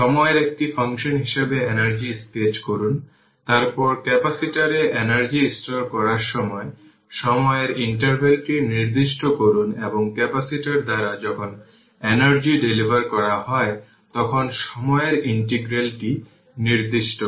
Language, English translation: Bengali, Sketch the energy as function of time, then specify the interval of time when energy is being stored in the capacitor and specify the integral of time when the energy is delivered by the capacitor